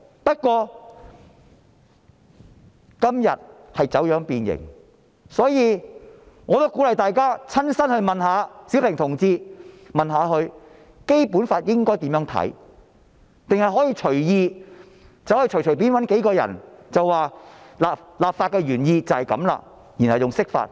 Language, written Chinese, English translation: Cantonese, 不過，今天已走樣變形，所以，我鼓勵大家親身去詢問小平同志應該如何理解《基本法》，而不是隨便找幾個人解釋立法原意，然後說這便是釋法。, Only that now the Basic Law has been distorted and deformed so I encourage everyone to ask Comrade Xiaoping personally about his views on the Basic Law instead of just finding a few people to explain the legislative intent and then saying that this is the interpretation of the Law